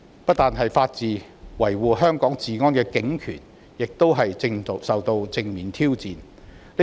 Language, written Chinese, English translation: Cantonese, 不單是法治，維護香港治安的警權亦正受到正面挑戰。, Not just the rule of law the police power that maintains Hong Kongs law and order is also facing direct challenges